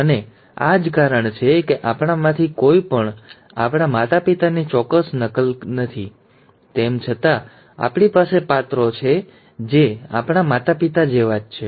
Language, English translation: Gujarati, And that is the reason why none of us are an exact copy of our parents, though we have characters which are similar to our parents